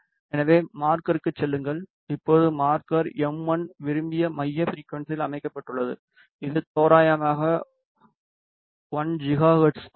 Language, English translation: Tamil, So, go to marker, now the marker m 1 has been set to the desired centre frequency which is approximately 1 gigahertz